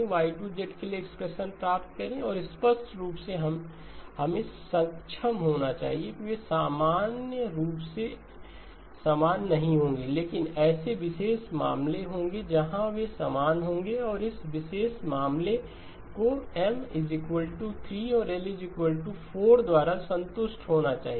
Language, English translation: Hindi, Now just like we did last time please get the expression for Y1 of Z, get the expression for Y2 of Z and obviously we should be able to, they will not be the same in general, but there will be special cases where they will be the same and that special case must be satisfied by this M equal to 3 and L equal to 4